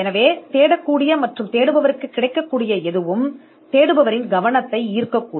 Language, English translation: Tamil, So, anything that is codified and searchable, and available to the searcher may catch the attention of the searcher